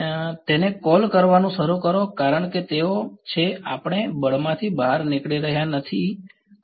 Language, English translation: Gujarati, Is begin call it because they are we are not exiting the force because I does not the